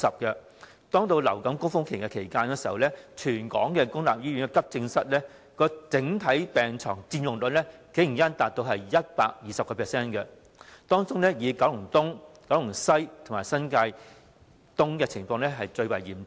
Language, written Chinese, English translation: Cantonese, 在流感高峰期，全港公立醫院急症室的整體病床佔用率竟然高達 120%， 當中以九龍東、九龍西及新界東的情況最為嚴重。, During the influenza peak season the overall occupancy rate of AE beds in the public hospitals in Hong Kong has actually reached 120 % . Among them the situation in Kowloon East Kowloon West and New Territories East is the most severe